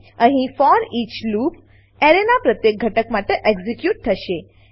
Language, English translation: Gujarati, Here, foreach loop will be executed for each element of an array